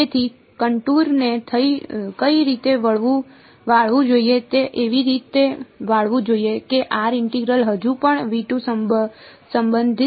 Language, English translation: Gujarati, So, which way should the contour bend it should bend in such a way that r prime still belongs to V 2